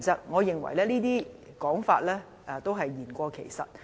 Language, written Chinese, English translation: Cantonese, 我認為這些說法是言過其實。, Well I think people have overstated the facts